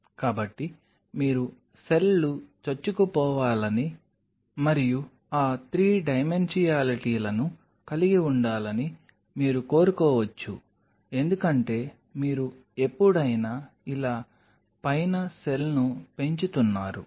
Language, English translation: Telugu, So, you may want that the cells to penetrate and have that 3 dimensionalities because whenever you are growing a cell on top of like this